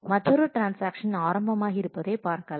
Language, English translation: Tamil, So, you know that another transaction is starting now